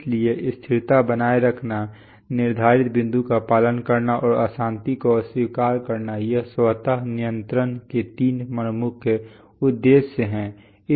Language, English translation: Hindi, So maintain stability, follow set point, and reject disturbance, these are the three major objectives of automatic control